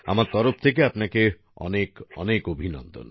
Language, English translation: Bengali, Our congratulations to you on that